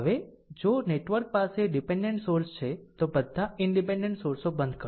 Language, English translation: Gujarati, Now, if the network has dependent sources, turn off all independent sources right